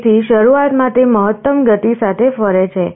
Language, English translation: Gujarati, So, initially it is rotating with the maximum speed